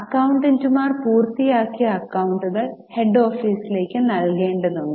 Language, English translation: Malayalam, Now accountants were required to furnish the completed accounts to the head office